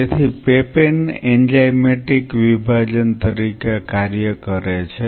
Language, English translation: Gujarati, So, the papain act as an enzymatic dissociate